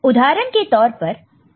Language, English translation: Hindi, For example, if it is a 2421 code